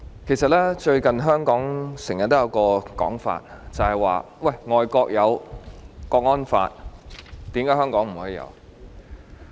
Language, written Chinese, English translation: Cantonese, 主席，最近香港經常有一種說法，說外國有國安法，為何香港不可以有？, President recently there is a saying in Hong Kong that goes Why cant Hong Kong have the national security law when overseas countries have such laws?